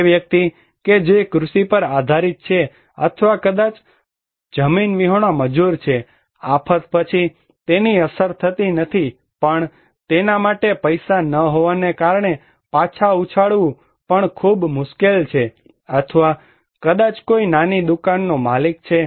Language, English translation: Gujarati, That a person who depends on agriculture or maybe a landless labor, after the disaster, he is not affected, but also it is very difficult for him to bounce back because he has no money or maybe a small shop owner